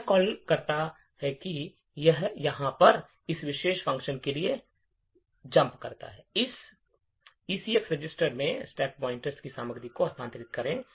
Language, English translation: Hindi, What this call does is that it jumps to this particular function over here, move the contents of the stack pointer into this ECX register